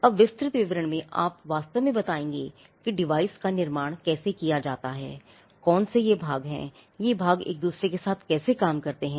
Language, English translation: Hindi, Now, in the detailed description, you will actually tell how the device is constructed, what are the parts, how the parts work with each other